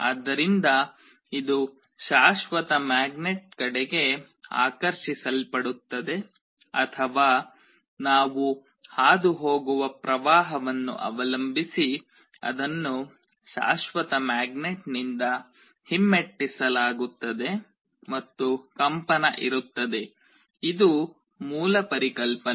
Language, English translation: Kannada, So, it will either be attracted towards the permanent magnet or it will be repelled from the permanent magnet depending on the kind of current we are passing, and there will be a vibration this is the basic idea